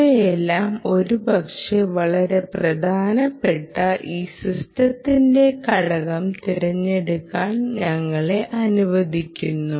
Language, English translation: Malayalam, all of this will perhaps allow us to choose this very important ah system, ah system component